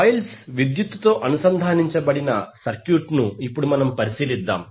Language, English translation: Telugu, Now let us consider the circuit where the coils are electrically connected also